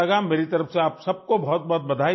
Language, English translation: Urdu, Many many congratulations to all of you from my side